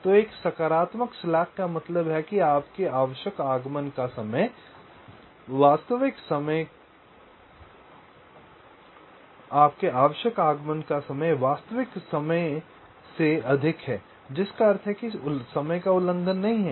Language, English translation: Hindi, so a positive slack means your required arrival time is greater than the actual time, actual arrival, which means the timing violation not there